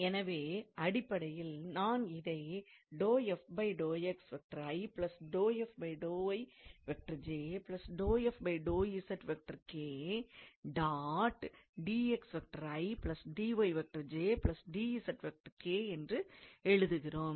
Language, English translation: Tamil, So, I can write this as, so I can write it here